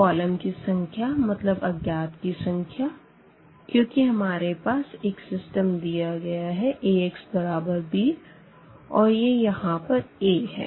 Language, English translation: Hindi, So, the number of columns means the number of unknowns because here this is A and we have our system this Ax is equal to is equal to b